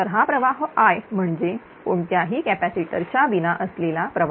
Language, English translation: Marathi, So, this current is I that is this current without any capacitor